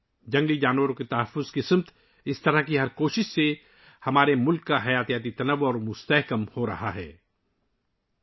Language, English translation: Urdu, With every such effort towards conservation of wildlife, the biodiversity of our country is becoming richer